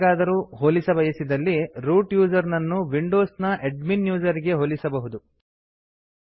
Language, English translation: Kannada, To draw an analogy we can say a root user is similar to a user in Windows with Administrator status